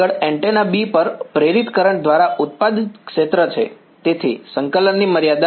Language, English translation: Gujarati, Next is the field produced by the current induced on antenna B; so, limits of integration